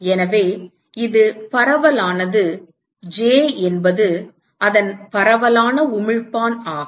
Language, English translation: Tamil, It is so this is diffused j is a its a diffuse emitter